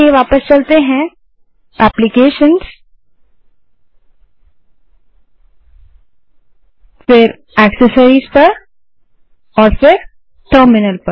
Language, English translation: Hindi, So lets move back to Applications gtAccessories and then terminal